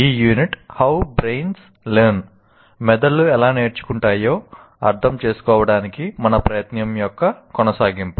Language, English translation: Telugu, And in the, this unit is continuation of the, our effort to understand how brains learn